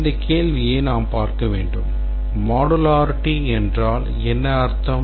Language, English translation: Tamil, We need to look at this question that what do we mean by modularity